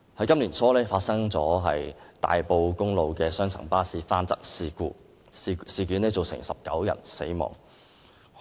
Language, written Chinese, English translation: Cantonese, 今年年初，大埔公路發生雙層巴士翻側事故，造成19人死亡。, At the beginning of this year 19 people were killed in a double - decker bus crash on Tai Po Road